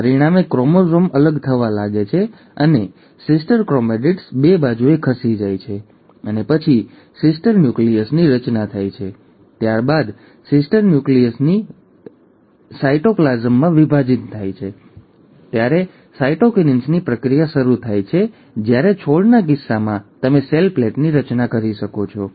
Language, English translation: Gujarati, As a result, the chromosome starts getting pulled apart, and the sister chromatids move to the two sides, and then there is a formation of daughter nuclei, and the daughter formation of daughter nuclei is then followed by the process of cytokinesis when the cytoplasm divides, while in case of plants, you end up having formation of a cell plate